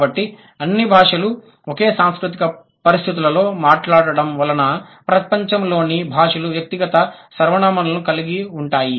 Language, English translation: Telugu, So, because all languages are spoken in same cultural conditions which calls for personal pronouns, the languages in the world have it